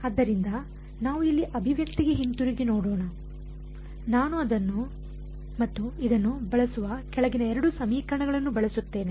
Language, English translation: Kannada, So, let us go back to the expression over here, I use the bottom 2 equations I use this and this